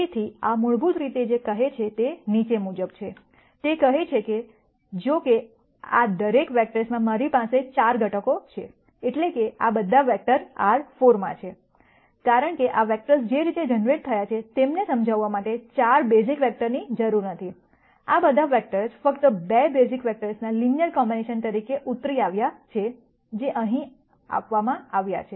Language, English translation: Gujarati, So, what this basically says is the following, it says that, though I have 4 components in each of these vectors, that is, all of these vectors are in R 4, because of the way in which these vectors have been generated, they do not need 4 basis vectors to explain them, all of these vectors have been derived as a linear combination of just 2 basis vectors, which are given here and here